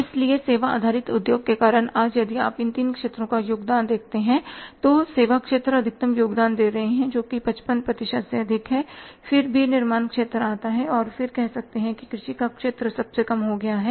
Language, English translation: Hindi, So, because of the service based industry today if you see the contribution of these three sectors, services sector is contributing maximum which is more than 55 percent then is the manufacturing sector and the contribution of the say the agriculture has become lowest